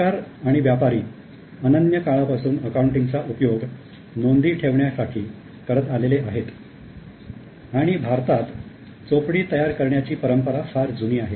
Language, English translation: Marathi, Now governments and merchants have been using the accounting for keeping records since almost time immemorial and India had a very long tradition of preparing chopi's